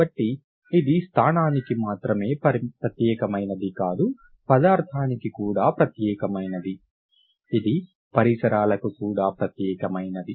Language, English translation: Telugu, So it is not only unique to the position but it is also unique to the substance but it is also unique to the surrounding